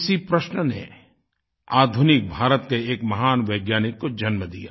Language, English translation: Hindi, The same question gave rise to a great scientist of modern India